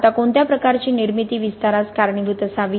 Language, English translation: Marathi, Now what type of formation should cause expansion